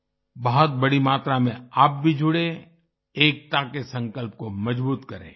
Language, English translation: Hindi, You should also join in large numbers and strengthen the resolve of unity